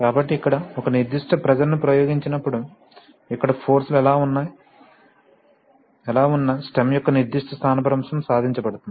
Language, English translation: Telugu, So therefore, when you apply a particular pressure here, a particular displacement of the stem is achieved, irrespective of what are the forces here